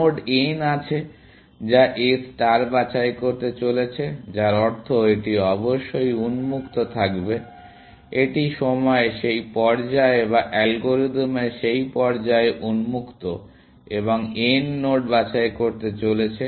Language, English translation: Bengali, There is node n which A star is about to pick, which means, it must be on open; this is open at that stage of time, or that stage of the algorithm, and n is about to pick node n